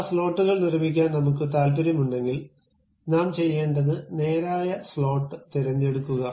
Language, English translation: Malayalam, And those slots if I am interested to construct it, what I have to do pick straight slot